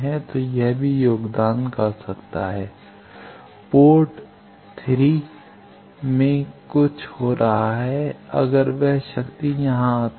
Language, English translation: Hindi, So, that can also contribute to V 1 minus something happening in port 3 n, if that power comes here